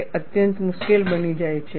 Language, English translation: Gujarati, It becomes extremely difficult